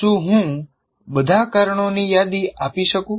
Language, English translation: Gujarati, Can I list all the causes